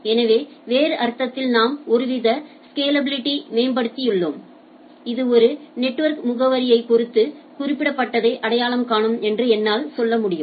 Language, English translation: Tamil, So, in other sense we have improved some sort of scalability like I can say that this is identify that particular with respect to a network address